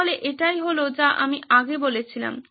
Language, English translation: Bengali, So this is what I was talking about earlier